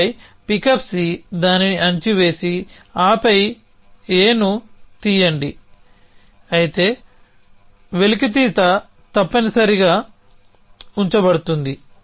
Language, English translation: Telugu, And then pickup C put it down and then pick up A so although extraction would keep in a essentially